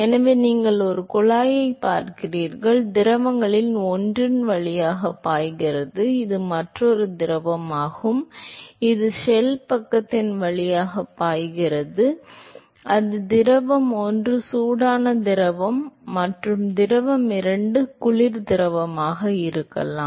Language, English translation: Tamil, So, you see a tube, one of the fluid is flowing through the tube and this is another fluid which is flowing through the shell side now it could be that fluid one is a hot fluid and fluid two is a cold fluid